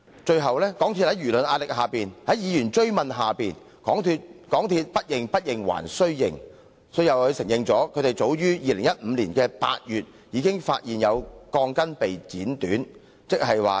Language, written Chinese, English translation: Cantonese, 最後，港鐵公司在輿論壓力及議員追問下，才"不認不認還須認"，承認早於2015年8月已發現有鋼筋被剪短。, However under the pressure of public opinions and having been pursued by Members MTRCL finally admitted reluctantly that the cutting of steel bars was found in August 2015